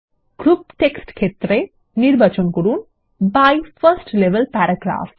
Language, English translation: Bengali, In the Group text field, select By 1st level paragraphs